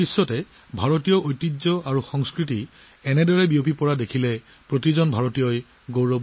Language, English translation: Assamese, Every Indian feels proud when such a spread of Indian heritage and culture is seen all over the world